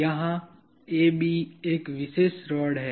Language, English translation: Hindi, There is a particular rod here AB